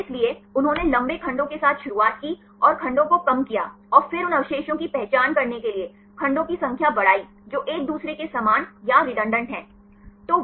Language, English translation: Hindi, So, they started with the longer segments and reduce the segments and then increases number of segments to identify the residues which are similar or redundant with each other